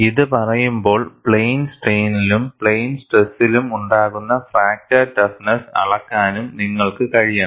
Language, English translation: Malayalam, Having said that, you should also be able to measure fracture toughness in plane strain as well as fracture toughness in plane stress